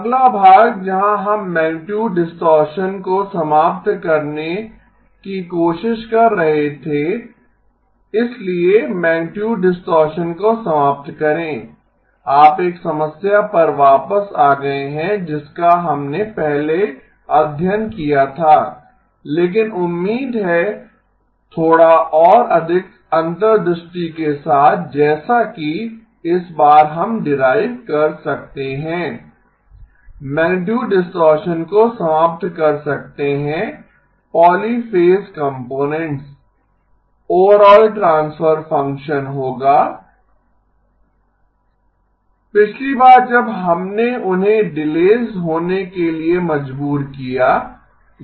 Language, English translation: Hindi, The next part where we were trying to eliminate the magnitude distortion, so eliminate magnitude distortion, you are back to a problem that we have studied before but hopefully with a little bit more insight that we can derive this time, eliminate magnitude distortion the polyphase components, the overall transfer function will be 2 times z inverse E0 of z squared E1 of z squared